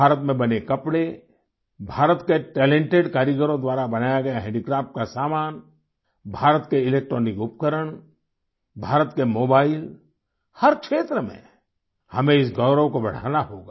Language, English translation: Hindi, Textiles made in India, handicraft goods made by talented artisans of India, electronic appliances of India, mobiles of India, in every field we have to raise this pride